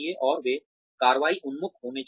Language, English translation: Hindi, And, they should be action oriented